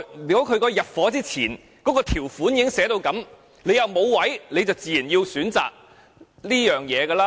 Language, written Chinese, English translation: Cantonese, 如果入伙前條款已這麼訂明，沒有龕位時，人們便自然要這樣選擇。, If this arrangement is clearly provided in the terms and conditions of the agreement at the outset people will have to make a choice if no other niches are available